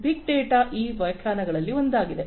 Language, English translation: Kannada, This is as per one of these definitions of big data